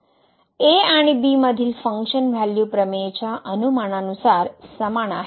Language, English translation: Marathi, The function value at and are equal as per the assumptions of the theorem